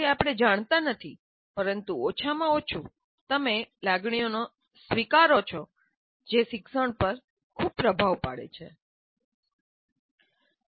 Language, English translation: Gujarati, We do not know, but at least you have to acknowledge emotions greatly influence learning